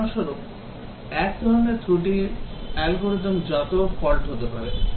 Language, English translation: Bengali, For example, one type of fault may be algorithm make fault